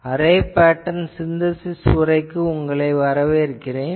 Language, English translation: Tamil, Welcome to this lecture on Array Pattern Synthesis